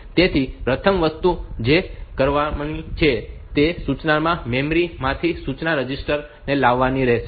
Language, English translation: Gujarati, So, the first thing that has to be done is that this instruction has to be brought to the instruction register from the memory